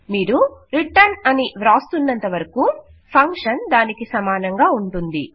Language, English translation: Telugu, As long as you say return whatever you say here the function will equal that